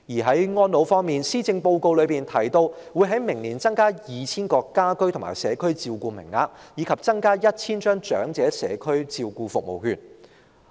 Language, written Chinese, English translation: Cantonese, 在安老方面，施政報告提到會在明年增加 2,000 個家居及社區照顧名額，以及增加 1,000 張長者社區照顧服務券。, In connection with elderly care the Policy Address mentions that an additional 2 000 places for home care and community care and an additional 1 000 vouchers for Community Care Service will be provided next year